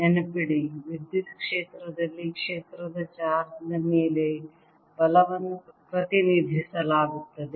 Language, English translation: Kannada, remember, in electric field represented force on a charge by the field